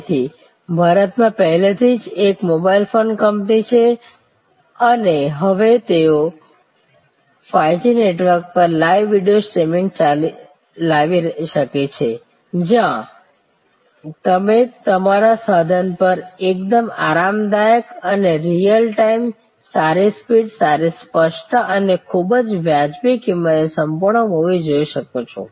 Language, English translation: Gujarati, So, there is a already mobile phone company in India and they can now bring live videos streaming on 5G network, where you can see a full movie quite comfortable on your handle device and real time good speed, good clarity and at a very reasonable price; that is a new service to existing customer